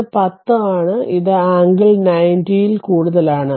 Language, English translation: Malayalam, And this is 10, so and this is the angle is more than 90